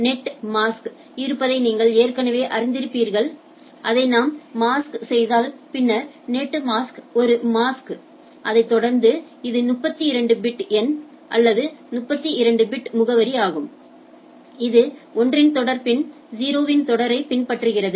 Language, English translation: Tamil, And that already you already you know that there is a the net mask which allows that if I mask it and then so net mask is a mask which followed by a it is also a 32 bit number or 32 bit address where it follows by a series of 1 and then a series of 0